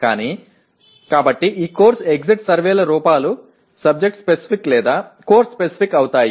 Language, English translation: Telugu, But, so these course exit survey forms become subject specific or course specific